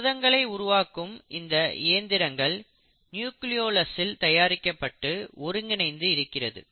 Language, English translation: Tamil, So what you find is that this protein synthesising machinery is actually produced and assembled in the nucleolus